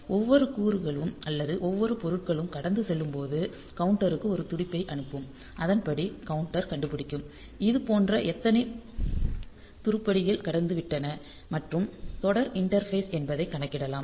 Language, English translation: Tamil, So, passing of every component or every item may be sending a pulse to the counter and accordingly the counter will find out we will count the how many such items have passed and serial interface